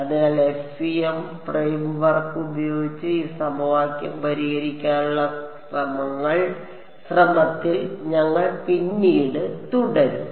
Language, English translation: Malayalam, So, when we will continue subsequently with trying to solve this equation using the FEM framework clear so far